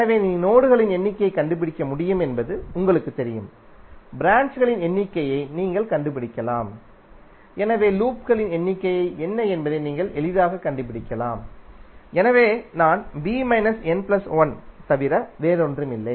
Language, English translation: Tamil, So you know you can find out the numbers of nodes, you can find out the number of branches, so you can easily find out what would be the numbers of loops, so l would be nothing but b minus n plus one